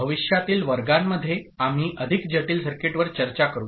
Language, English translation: Marathi, In future classes we shall have discussion on more complex circuit